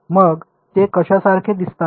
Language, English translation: Marathi, So, what do they look like